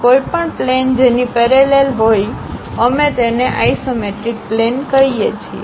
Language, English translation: Gujarati, Any plane parallel to that also, we call that as isometric plane